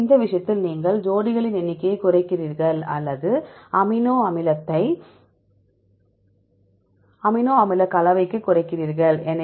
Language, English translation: Tamil, So, in this case you better reduce the number of pairs or reduced amino acid to amino acid composition